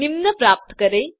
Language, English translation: Hindi, Obtain the following